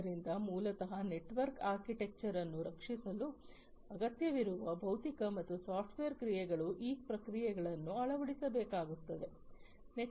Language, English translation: Kannada, So, basically the physical and software actions that would be required for protecting the network architecture those processes will have to be laid down